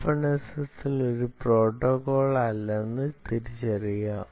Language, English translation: Malayalam, please note: openssl is not a protocol, a protocol